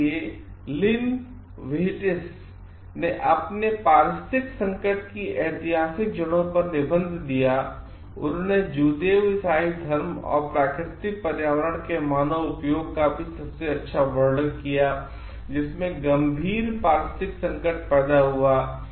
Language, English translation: Hindi, So, the Lynn Whitess essay the historical roots of our ecological crisis, best described the influence of Judeo Christianity and human use of natural environment which led to severe ecological crisis